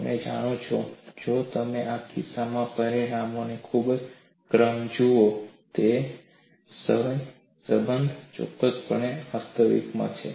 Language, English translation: Gujarati, Nevertheless, if you look at the order of magnitudes in this case, a correlation definitely exists